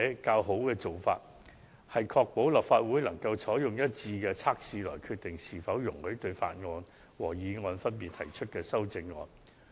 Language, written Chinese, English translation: Cantonese, 較佳做法為確保立法會能按劃一的準則決定是否容許分別對法案及議案提出修正案。, And so it is better for this Council to decide in accordance with a set of across - the - board criteria whether amendments to a bill or motion are allowed